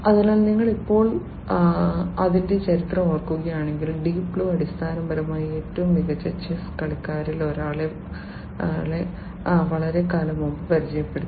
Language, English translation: Malayalam, So, if you recall you know its history now, that Deep Blue, basically defeated one of the greatest chess players long time back